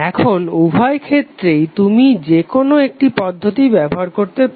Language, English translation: Bengali, Now in both of these cases you can use any one of the method